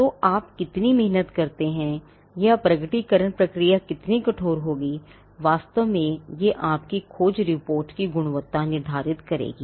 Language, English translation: Hindi, Or how rigorous the disclosure process will be, will actually determine the quality of your search report